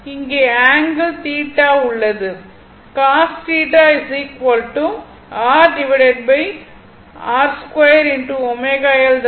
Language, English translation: Tamil, And here from this angle is theta